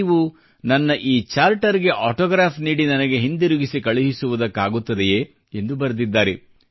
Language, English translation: Kannada, Can you inscribe your autograph on this Charter and arrange to send it back to me